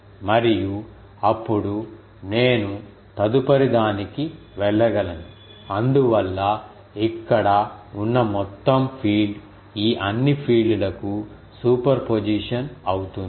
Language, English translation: Telugu, And, then I can then I go to the next one and so, the total field here will be super position of all these fields